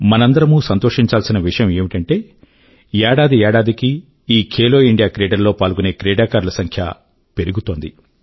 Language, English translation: Telugu, It is very pleasant for all of us to learn that the participation of athletes in 'Khelo India Games' is on the upsurge year after year